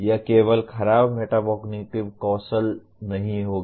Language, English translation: Hindi, It would not be exclusively poor metacognition skills